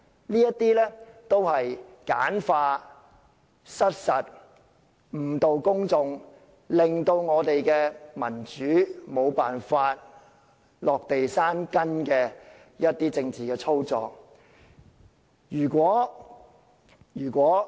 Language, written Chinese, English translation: Cantonese, 這些都是簡化、失實和誤導公眾的說法，令民主沒有辦法落地生根的政治操作。, All these are oversimplified false or misleading statements motivated politically to prevent democracy from taking root in Hong Kong